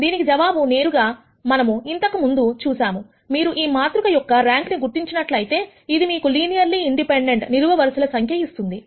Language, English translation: Telugu, The answer is straightforward this is something that we have already seen before, if you identify the rank of this matrix it will give you the number of linearly independent columns